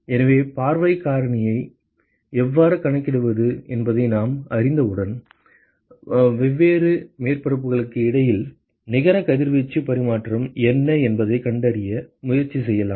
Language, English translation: Tamil, So, once we know how to calculate view factor, we can now attempt to find out what is the net radiation exchange between different surfaces